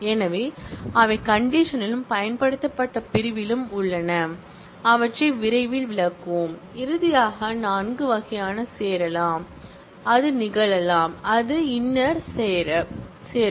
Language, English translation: Tamil, So, those are on condition and the using clause, we will just illustrate them soon and finally, there are four types of join that can happen, that is the inner join